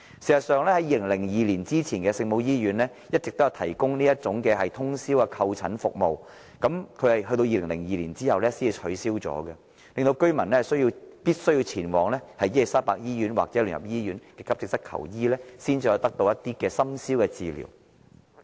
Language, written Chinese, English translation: Cantonese, 事實上 ，2002 年前的聖母醫院一直都有提供通宵門診服務，服務至2002年取消，令居民必須前往伊利沙伯醫院或基督教聯合醫院的急症室求醫，才能在深宵期間得到治療。, In fact overnight outpatient services had been provided by OLMH until 2002 when such services were ceased . As a result residents have to seek treatment from the AE departments of the Queen Elizabeth Hospital or the United Christian Hospital for treatment to be administered at midnight